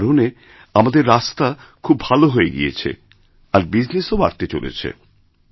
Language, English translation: Bengali, As a result of this, our roads have improved a lot and business there will surely get a boost